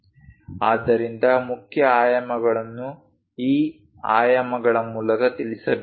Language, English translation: Kannada, So, main features has to be conveyed through these dimensions